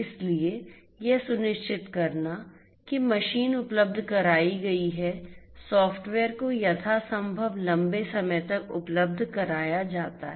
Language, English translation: Hindi, So, ensuring that the machine is made available, the software is made available as much long as possible